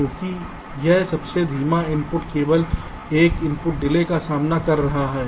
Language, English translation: Hindi, because this slowest input a is encountering only one gate delay